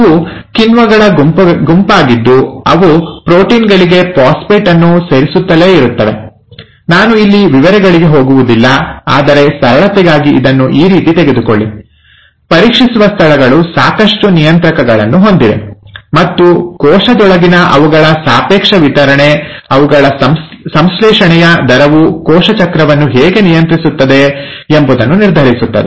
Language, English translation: Kannada, These are a group of enzymes which keep adding phosphate to proteins, I will not get into details here, but for simplicity, just take it like this, the checkpoints has sufficient regulators in place, and their relative distribution within a cell, their rate of synthesis determines how a cell cycle is regulated